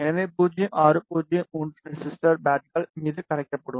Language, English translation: Tamil, So, 0603 resistor will be soldered on the pads